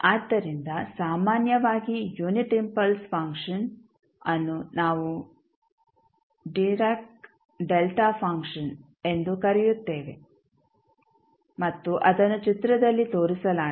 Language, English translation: Kannada, So, generally the unit impulse function we also call as direct delta function and is shown in the figure